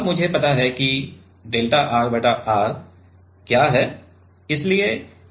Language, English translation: Hindi, And now I know what is delta R by R